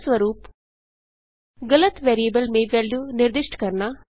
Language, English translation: Hindi, For example, Assigning a value to the wrong variable